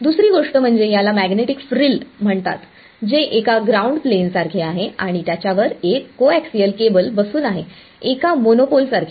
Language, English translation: Marathi, The second thing is what is called this magnetic frill which it is like a ground plane and a coaxial cable sitting on top of it like a monopole